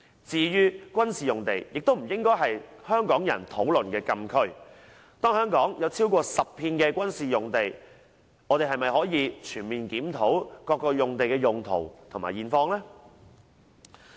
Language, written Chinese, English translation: Cantonese, 至於軍事用地，也不應是香港人討論的禁區，當香港有超過10幅的軍事用地，政府是否可以全面檢討各用地的用途和現況呢？, As for military sites it should not be a restricted zone for public discussion . Hong Kong has more than 10 military sites so can the Government fully review the use and current condition of individual sites?